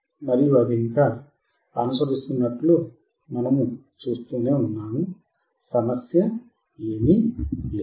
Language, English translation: Telugu, And we will see that it is still following there is no problem